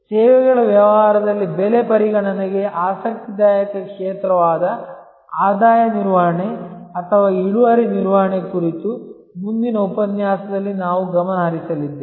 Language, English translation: Kannada, We are going to focus in the next lecture on revenue management or yield management, an interesting area for pricing considerations in the services business